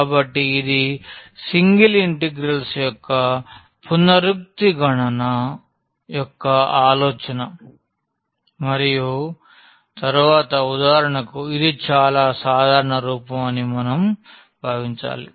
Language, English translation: Telugu, So, this is the idea of this iterative computation of single integrals and then so, like for instance if we consider that is the most general form is given